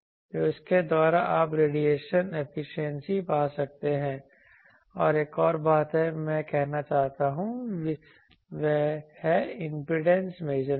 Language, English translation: Hindi, So, by this you can find the radiation efficiency and there is one more thing that I want to say that is the impedance measurement